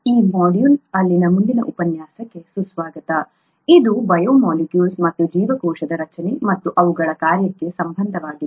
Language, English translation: Kannada, Welcome to the next lecture in this module which is on biomolecules and their relationship to cell structure and function